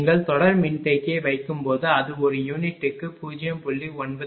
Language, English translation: Tamil, Suppose when you put the series capacitor say it is becoming 0